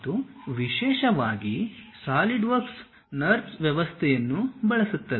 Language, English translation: Kannada, And especially Solidworks uses a system of NURBS